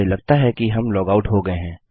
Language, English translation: Hindi, I assume that weve been logged out